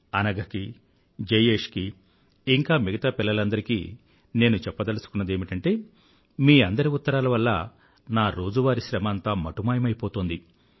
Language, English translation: Telugu, Let me tell Anagha, Jayesh & other children that these letters enliven me up after a hard day's work